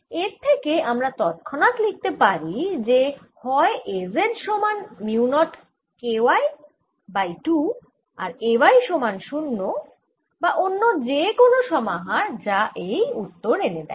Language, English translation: Bengali, so i can immediately write there: either a z is equal to mu, not k, y over two, and a y is equal to zero, or any other combination that gives me thois answer